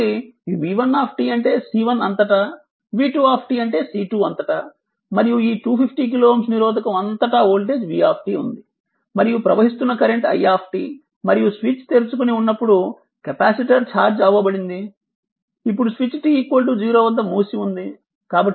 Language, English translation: Telugu, So, v one t means across C 1 v 2 t means across C 2 and this is 250 kilo ohm resistor and across the voltage is vt and current flowing through is i t and switch was such capacitor was charged, switch was open now switch is closed at t is equal to 0 right